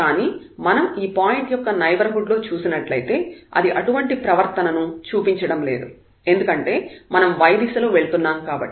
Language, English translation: Telugu, But at this point if we see that in the neighborhood it is not showing the same behavior because if we go in the direction of y